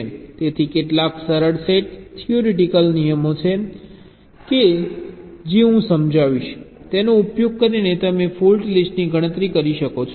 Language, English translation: Gujarati, so there are some simple, set theoretic rules i will be illustrating, using which you can compute the fault lists